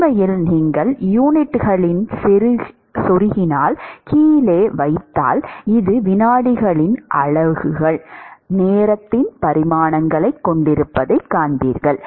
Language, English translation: Tamil, In fact, if you put down the units plug in the units you will see that this will exactly have the units of seconds, dimensions of time